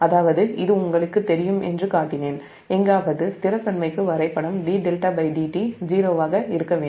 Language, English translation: Tamil, that means i showed you you know this graph that for stability, somewhere d delta by d t has to be zero